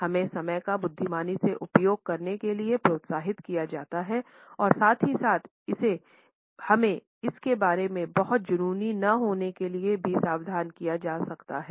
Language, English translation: Hindi, We are encouraged to use time wisely and at the same time we may also be cautioned not to be too obsessive about it